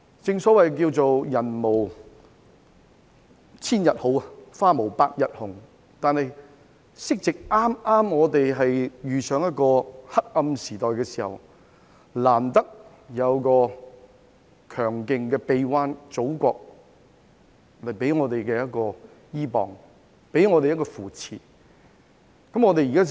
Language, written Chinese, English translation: Cantonese, 正所謂"人無千日好，花無百日紅"，香港剛好遇上一個黑暗時代，但難得可以依傍在祖國強勁的臂彎，得到扶持。, As the saying goes all good things must come to an end it happens that Hong Kong has entered a dark age but it is lucky that our country has stretched its arms to embrace us and provided us with strong support